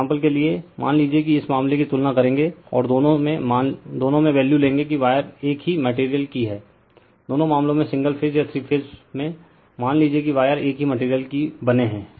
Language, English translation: Hindi, For example, suppose we will compare this cases and assume in both that the wires are in the same material in both the cases single phase or three phase, we assume that wires are of made same material right